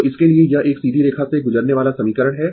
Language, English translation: Hindi, So, for this this, this is the equation ah passing through a straight line